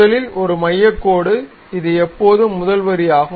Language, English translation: Tamil, First of all a centre line, this is always be the first line ok